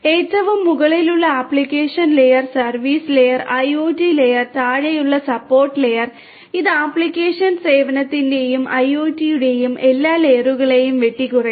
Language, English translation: Malayalam, Application layer on the very top, service layer, IoT layer, and the bottom support layer, which cuts across all of these layers of application service and IoT